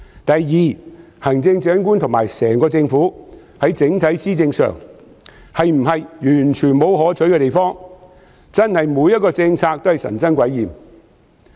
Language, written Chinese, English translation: Cantonese, 第二，行政長官和整個政府在整體施政上是否完全沒有可取之處，真的每項政策都神憎鬼厭嗎？, Second have the Chief Executive and the entire Government done nothing desirable in their overall administration? . Is it true that every policy is indeed abominable to all people?